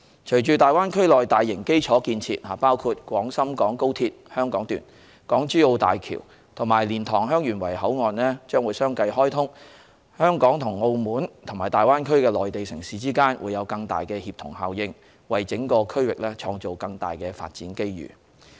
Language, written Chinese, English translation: Cantonese, 隨着大灣區內大型基礎建設，包括廣深港高速鐵路香港段、港珠澳大橋及蓮塘/香園圍口岸相繼開通，香港與澳門及大灣區的內地城市之間會有更大的協同效應，為整個區域創造更多發展機遇。, Following the commissioning of massive infrastructure facilities in the Greater Bay Area one after another including the Hong Kong Section of the Guangzhou - Shenzhen - Hong Kong Express Rail Link the Hong Kong - Zhuhai - Macao Bridge and the LiantangHeung Yuen Wai Cross - boundary Control Point Hong Kong Macao and Mainland cities in the Greater Bay Area may attain greater synergy and create more development opportunities in the whole region